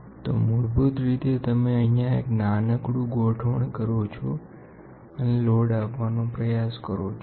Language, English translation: Gujarati, So, basically you are supposed to develop a very small setup and then try to apply load